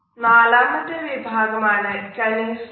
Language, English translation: Malayalam, The fourth is Kinesics